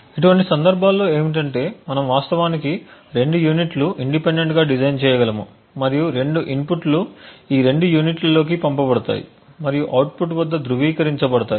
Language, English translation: Telugu, In such cases the worst case situation is where we could actually have two units possibly designed independently and both inputs are sent into both of these units and verified at the output